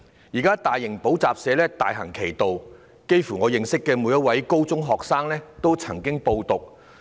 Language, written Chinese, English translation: Cantonese, 現時大型補習社大行其道，差不多我認識的每一位高中學生都曾經報讀。, Large - scale tutorial schools are excessively popular . Almost every senior secondary student whom I know have enrolled in these schools